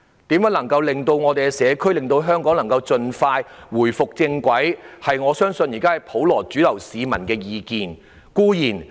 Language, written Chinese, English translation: Cantonese, 如何能夠令到社區及香港盡快回復正軌，我相信是普羅市民的主流意見。, I believe the mainstream view of the general public is to expeditiously bring the community and Hong Kong back on track